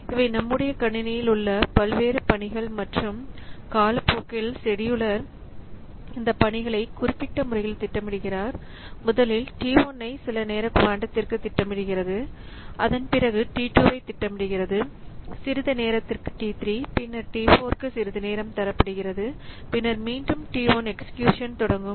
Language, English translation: Tamil, And over the time, the scheduler, schedules the tasks tasks in this fashion that first it schedules T1 for some time quantum, after that it schedules T2 for some time, then T3 for some time, then T4 for some time, then again it picks up T1 for execution